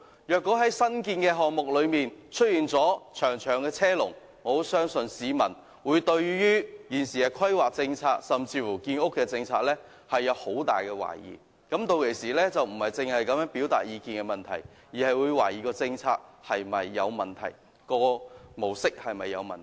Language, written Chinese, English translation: Cantonese, 若在新建項目中出現長長車龍，我相信市民會對現時的規劃政策，甚至建屋政策，抱有很大懷疑，屆時他們不只會表達意見，更會懷疑有關政策和模式是否存在問題。, If there are long queues waiting for parking spaces in the new developments I think members of the public will cast serious doubt on the existing planning policy and even the housing policy . By then they will not simply express views but will also doubt about the relevant policies and approaches